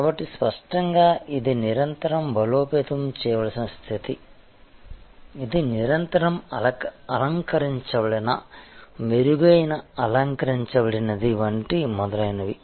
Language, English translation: Telugu, So; obviously, this is a position that must be continuously strengthen continuously retained enhanced embellished and so on